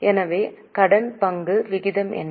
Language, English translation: Tamil, So, what is a debt equity ratio